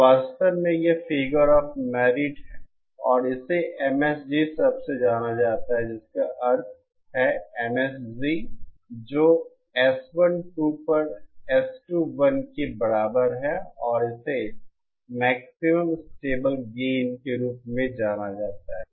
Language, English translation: Hindi, And in fact, this is also a figure of merit and it is known by the term MSG which means MSG which is equal to S21 upon S12 and this is known as the maximum stable gain